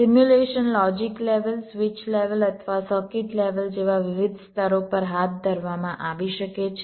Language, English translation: Gujarati, simulation can be carried out at various levels, like logic levels, switch level or circuit level